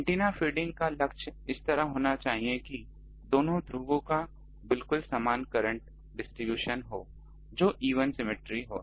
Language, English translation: Hindi, The goal is to feed the antenna in such a way that these two poles have exactly the same current distribution that is the even symmetric